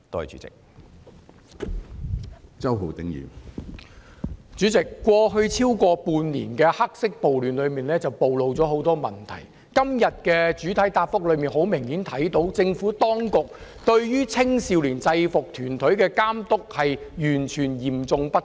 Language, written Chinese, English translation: Cantonese, 主席，在超過半年的黑色暴亂暴露了很多問題，從局長今天的主體答覆明顯看到，政府當局對於青少年制服團體的監督實在嚴重不足。, President many problems have been exposed in the black - clad riots that have persisted for more than six months . It can be clearly seen from the Secretarys main reply that the oversight of youth UGs by the Administration is seriously inadequate